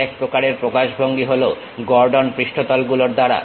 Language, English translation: Bengali, The other kind of representation is by Gordon surfaces